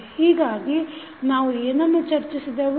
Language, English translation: Kannada, So, what we discussed